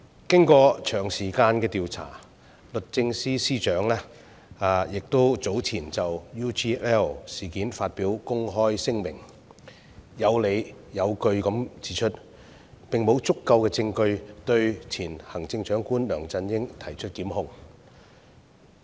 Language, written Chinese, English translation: Cantonese, 經過長時間的調查，律政司司長早前就 UGL 事件發表公開聲明，有理有據地指出，並無足夠證據對前行政長官梁振英提出檢控。, After a lengthy investigation the Secretary for Justice recently made a public statement on the UGL incident justifiably pointing out that there was not enough evidence to prosecute the former Chief Executive LEUNG Chun - ying